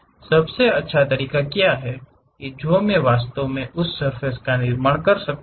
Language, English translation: Hindi, What is the best way I can really construct that surface